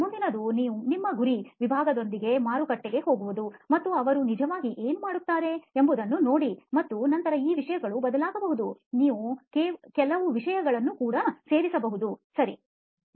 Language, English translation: Kannada, The next is to actually go into the market with your target segment and see what do they actually do and then these things may change, you may add a few things also, ok